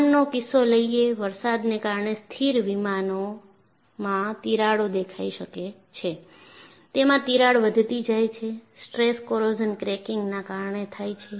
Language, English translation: Gujarati, So, take the case of an aircraft; cracks may appear in a stationary aircraft due to rain, and here the crack grows, because of stress corrosion cracking